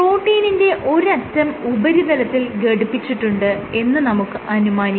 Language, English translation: Malayalam, Let us assume if one end of the protein remains attached to the surface